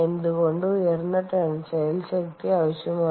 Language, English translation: Malayalam, ok, why is high tensile strength required